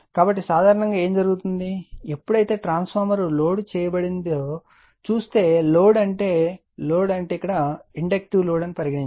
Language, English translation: Telugu, So, generally what happened that whenever look at that whenever a transformer your what you call is loaded, so load means say it load means say inductive load